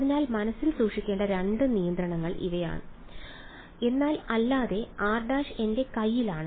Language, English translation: Malayalam, So, these are the 2 constraints that have to be kept in mind, but other than that r prime is in my hands